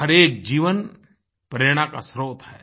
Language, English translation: Hindi, Every life, every being is a source of inspiration